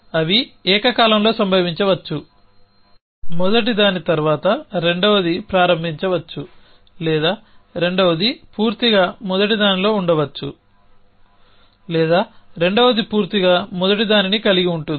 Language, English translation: Telugu, They can happen simultaneously 1 can second one can start immediately after the first one or the second one can be contain totally in the first one or second one can totally contain the first one